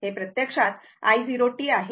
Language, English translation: Marathi, This is actually i 0 t